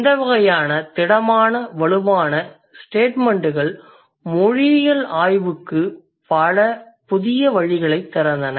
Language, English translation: Tamil, So, this kind of bold statements or this kind of strong statements opened up many newer venues for linguistics research